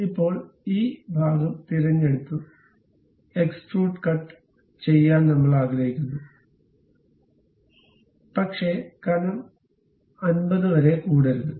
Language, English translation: Malayalam, Now, this part is selected; we would like to have extrude cut, but some thickness not up to 50